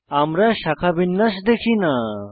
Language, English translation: Bengali, We do not see the branching